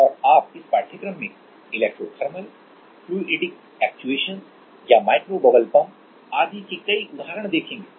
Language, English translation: Hindi, And, you will see many examples of electro thermal, fluidic actuations or micro bubble pump etc